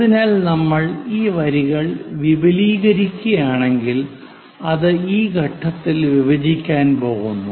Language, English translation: Malayalam, So, if we are extending these lines, it is going to intersect at this point